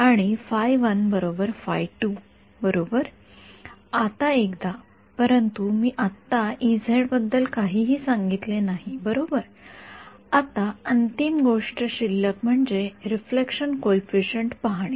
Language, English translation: Marathi, Now once, but I have not said anything about e z right now the final thing that is left is to look at the reflection coefficient